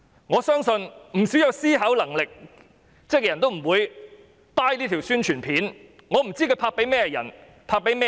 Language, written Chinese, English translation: Cantonese, 我相信不少有思考能力的人均不會認同這條宣傳短片，我真的不知道它是要拍給甚麼人看。, I believe that many people with capacity for thinking will not agree with this API and I really do not know who the target audience are